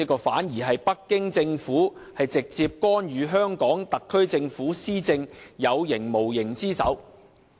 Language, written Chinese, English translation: Cantonese, 反而，這是北京政府直接干預香港特區政府施政的有形無形之手。, Rather the Beijing Government has extended its visible or invisible hand to interfere directly with the governance of the Hong Kong SAR Government